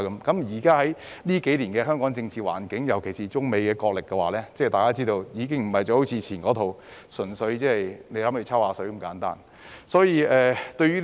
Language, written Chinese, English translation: Cantonese, 觀乎近年香港的政治環境，尤其是面對中美角力，現在的情況已不似過往純粹"抽水"那麼簡單。, Given Hong Kongs political environment in recent years especially in the face of the Sino - United States wrestling the situation now is no longer so simple as purely taking advantage of happenings in the past